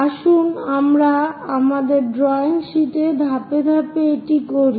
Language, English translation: Bengali, Let us do that step by step on our drawing sheet